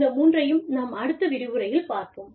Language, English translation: Tamil, We will deal, with these three, in the next lecture